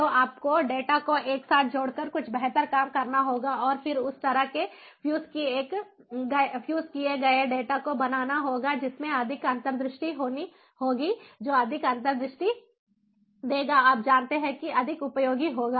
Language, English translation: Hindi, so you have to, you have to do some better job by fusing the data together and then making that kind of fused data which has more in sight, which will give more insight